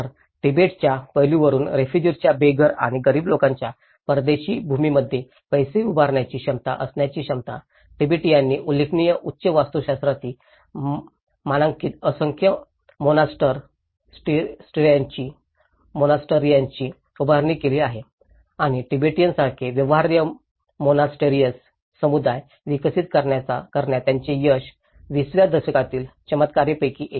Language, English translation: Marathi, So, from the Tibetan aspect, the ability of homeless and impoverished groups of refugees to build and fund in foreign lands, Tibetan have built a numerous monasteries of a remarkable high architectural standard and their success in developing viable monastic communities similar to those of Tibet, one of the miracles of the 20th century